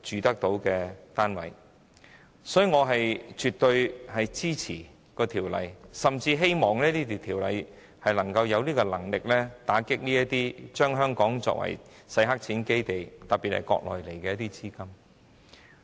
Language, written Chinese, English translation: Cantonese, 因此，我絕對支持《條例草案》，甚至希望《條例草案》有能力打擊將香港變成洗黑錢基地的資金流入。, Therefore I absolutely support the Bill and even hope that the Bill has the power to curb capital inflows especially those from the Mainland so that Hong Kong will not be turned into a money laundering base